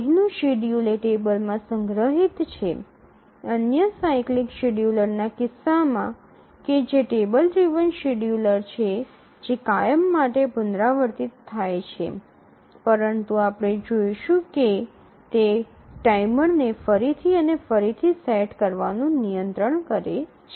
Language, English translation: Gujarati, So, the schedule here is stored in a table as in the case of other cyclic scheduler that the table driven scheduler which is repeated forever but we will see that it overcomes setting a timer again and again